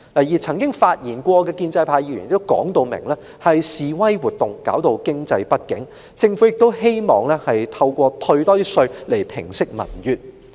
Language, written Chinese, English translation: Cantonese, 至於曾經發言的建制派議員也明言，是示威活動造成經濟不景，政府亦希望透過更多退稅來平息民怨。, As for those pro - establishment Members who have spoken they did make it plain the demonstration activities had begotten an economic downturn and that the Government would like to appease peoples resentment with more tax rebates